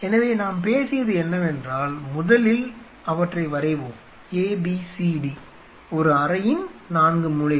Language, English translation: Tamil, So, what you talked about is that either in So, let us A B C D the 4 corners of a room